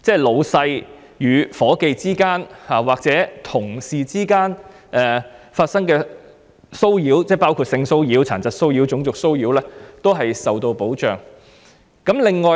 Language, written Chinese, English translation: Cantonese, 上司與下屬或同事之間的騷擾，包括性騷擾、殘疾騷擾及種族騷擾皆一律受到保障。, There is protection from harassment between supervisors and subordinates or among co - workers including sexual disability and racial harassment